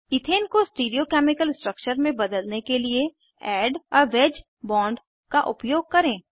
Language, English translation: Hindi, Let us use Add a wedge bond to convert Ethane to a Stereochemical structure